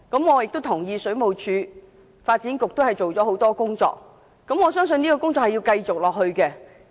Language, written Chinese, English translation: Cantonese, 我也同意，水務署及發展局均已着手多項工作，相信這些工作仍會繼續。, I also agree that WSD and the Bureau have launched various works which will conceivably continue to proceed